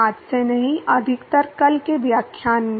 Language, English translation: Hindi, Not in today’s mostly in tomorrow’s lectures